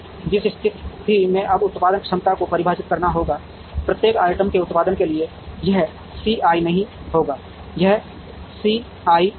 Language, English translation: Hindi, In which case the production capacities will now have to be defined, for producing each of the items, it would not be C i, it will be C i l